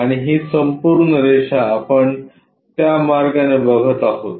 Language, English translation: Marathi, And this entire line we will observe it in that way